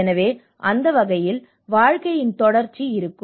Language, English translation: Tamil, So in that way, your continuity of your life will be there